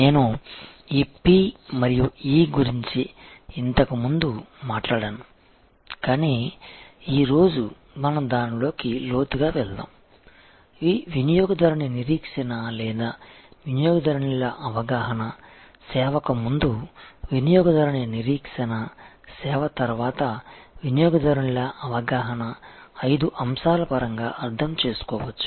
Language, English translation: Telugu, I have talked about this p and e earlier, but today we will go deeper into it, so this customer expectation or customers perception, customer expectation before the service, customers perception after the service can be understood in terms of five factors